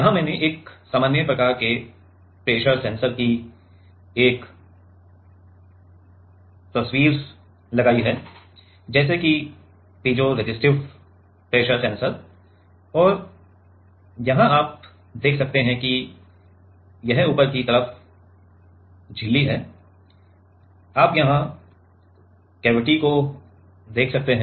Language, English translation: Hindi, Here I have put a picture of usual kind of a pressure sensor like a piezoresistive pressure sensor and there you can see that this is the top side is the membrane right, you can see the cavity here